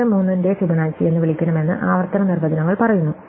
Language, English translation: Malayalam, So, the recursive definitions says, that we should call Fibonacci of 4 and 3